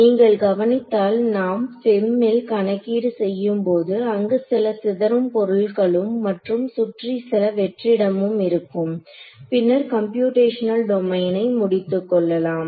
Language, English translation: Tamil, So, if you notice that I mean when we do FEM calculations we will have the scattering object and surrounded by some amount of vacuum and then terminate the computational domain